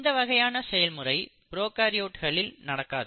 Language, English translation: Tamil, So this feature you do not see in case of prokaryotes